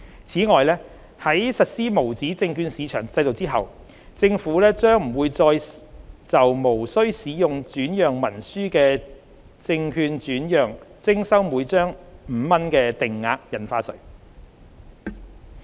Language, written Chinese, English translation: Cantonese, 此外，在實施無紙證券市場制度後，政府將不會再就無須使用轉讓文書的證券轉讓徵收每張5元的定額印花稅。, Besides upon implementation of the USM regime the current 5 fixed stamp duty will no longer be chargeable on prescribed securities transferred without an instrument of transfer